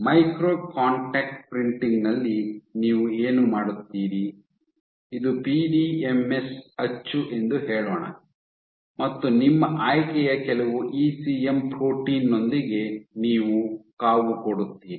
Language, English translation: Kannada, So, in micro contact printing what you do is let us say this is your PDMS mold, you incubate it with some ECM protein of your choice